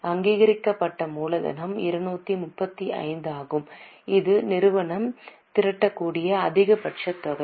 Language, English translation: Tamil, Authorized capital is the maximum capital which companies permitted to raise